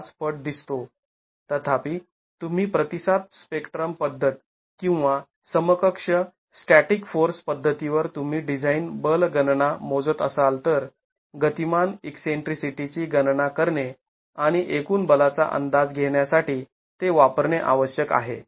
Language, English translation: Marathi, However, if you are basing your design force calculations on the response spectrum method or equivalent static force method, then it is essential to calculate the dynamic amplificate the dynamic eccentricity and use that to estimate the total force